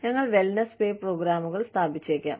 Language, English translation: Malayalam, We may institute, wellness pay programs